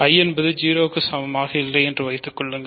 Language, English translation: Tamil, So, assume I is not equal to 0